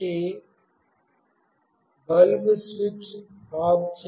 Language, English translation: Telugu, So, the bulb is switched off